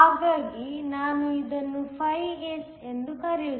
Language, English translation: Kannada, So, I will just call this φS